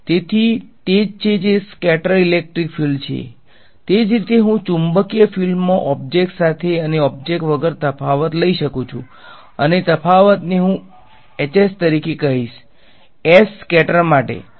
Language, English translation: Gujarati, So, that is what is the scattered electric field, similarly I can take the difference in the magnetic field with and without object and difference I will call as the Hs, s for scattered right we call this scattered